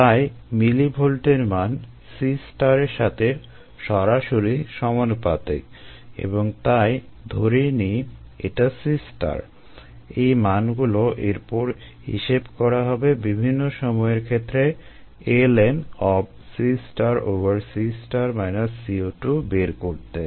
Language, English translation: Bengali, so this millivolt value is directly proportional to c star and therefore, let us take it has c star